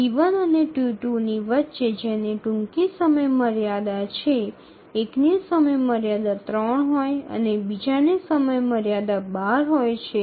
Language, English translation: Gujarati, So, between T1 and T2, which has the earliest deadline, one has deadline three and the other has deadline 12